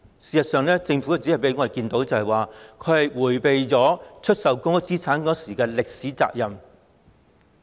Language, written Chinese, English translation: Cantonese, 事實上，我們只看到政府迴避出售公屋資產的歷史責任。, In fact we have only seen that the Government has evaded the historical responsibility for the divestment of public assets